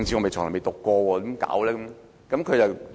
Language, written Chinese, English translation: Cantonese, 但他從未讀過政治，怎辦？, As my friend had never dabbled in politics what should he do?